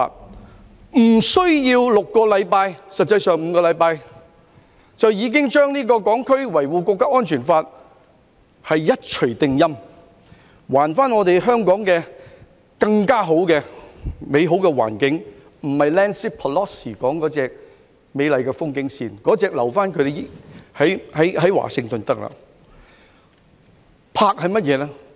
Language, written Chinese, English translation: Cantonese, 無需6星期，實際上是5星期，就已經對這項《香港國安法》一錘定音，還我們香港更美好的環境，不是 Nancy PELOSI 所說的那種"美麗的風景線"，那種留在華盛頓便行了。, It took less than six weeks―five weeks to be precise―to put in place the National Security Law for HKSAR and restore a better environment for us in Hong Kong . The kind of beautiful sight to behold described by Nancy PELOSI should just be saved for Washington